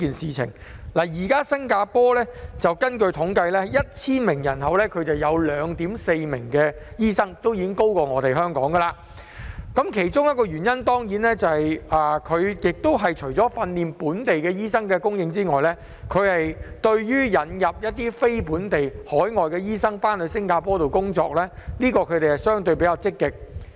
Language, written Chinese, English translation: Cantonese, 根據統計，現時新加坡每 1,000 人口便有 2.4 名醫生，已經較香港為高，原因是當地除了訓練本地醫生外，對於引入非本地醫生到新加坡工作比較積極。, According to statistics there are 2.4 doctors per 1 000 people in Singapore which is higher than that in Hong Kong . The reason is that in addition to training local doctors Singapore is more proactive in importing non - local doctors